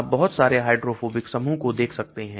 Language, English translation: Hindi, you can see lot of hydrophobic groups